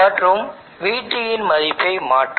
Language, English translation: Tamil, And therefore, change the value of VT